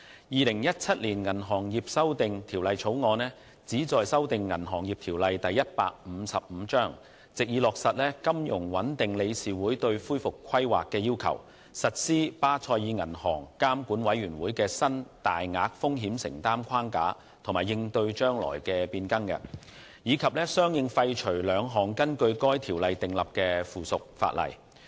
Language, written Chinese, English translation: Cantonese, 《2017年銀行業條例草案》旨在修訂《銀行業條例》，藉以落實金融穩定理事會對恢復規劃的要求、實施巴塞爾銀行監管委員會的新大額風險承擔框架及應對將來的變更，以及相應廢除兩項根據《銀行業條例》訂立的附屬法例。, The Banking Amendment Bill 2017 the Bill seeks to amend the Banking Ordinance BO Cap . 155 to implement the requirements of the Financial Stability Board on recovery planning implement the new framework of the Basel Committee on Banking Supervision for large exposures cope with future changes and correspondingly repeal two items of subsidiary legislation made under BO